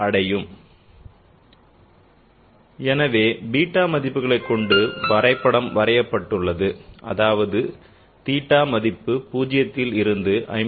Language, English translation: Tamil, So the graph is drawn by following the theta values namely theta is equal to 0 up to 54